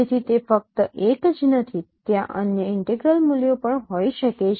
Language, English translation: Gujarati, So it is not only 1, there there could be other integral values also